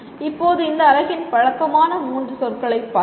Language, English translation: Tamil, Now coming to the end of this unit, we have looked at three familiar words